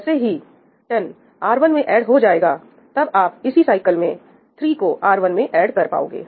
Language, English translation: Hindi, Once 10 has been added to R1, then you could add 3 to R1 in this cycle